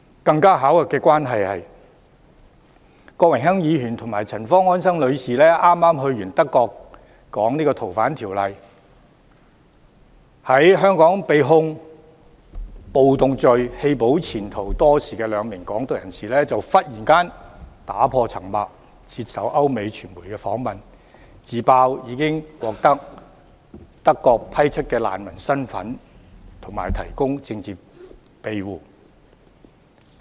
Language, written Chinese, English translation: Cantonese, 更巧合的是，郭榮鏗議員及陳方安生女士剛出訪德國表達對《逃犯條例》的意見，其後在香港被控暴動罪、棄保潛逃多時的兩名"港獨"人士就突然打破沉默，接受歐美傳媒訪問，自揭已獲德國批出難民身份及提供政治庇護。, By another sheer coincidence soon after Mr Dennis KWOK and Mrs Anson CHAN expressed their opinions about FOO during their visit to Germany the two Hong Kong independence advocates charged with rioting in Hong Kong who had jumped bail and long absconded suddenly broke silence revealing in interviews with the European and American media that they had been granted refugee status and political asylum by Germany